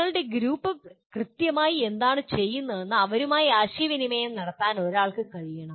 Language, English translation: Malayalam, One should be able to communicate to them what exactly your group is doing